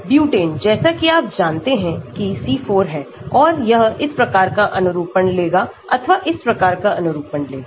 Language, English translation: Hindi, Butane, as you know is C4 and it can take this type of conformation or this type of conformation